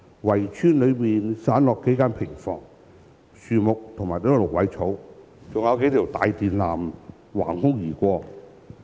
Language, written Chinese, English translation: Cantonese, 圍村裏散落數間平房，樹木和蘆葦草，還有數條大電纜橫空而過。, There were some scattered cottages trees and reeds scattering in the walled village and several large electric cables stretching along the sky